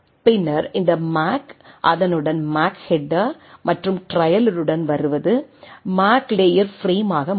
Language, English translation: Tamil, And then this MAC along with that whatever is coming with the MAC header and trailer become the MAC layer frame